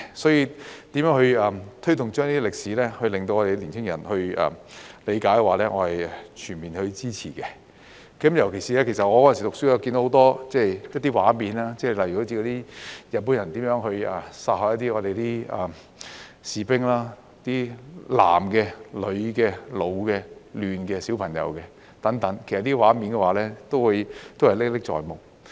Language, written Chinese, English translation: Cantonese, 所以，如何推動這些歷史令到年輕人理解，我是全面支持的。尤其是我讀書的時候看到的一些畫面，例如日本人如何殺害我們的士兵，男的、女的、老的、嫩的、小朋友等，這些畫面都歷歷在目。, Therefore I fully support that we should identify ways to promote this period of history for the young people to understand it and particularly when I was a student I saw some pictures about how the Japanese had killed our soldiers men and women old and young and small children and these scenes have remained vivid in my mind